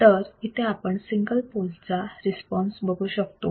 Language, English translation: Marathi, we can see the response of single pole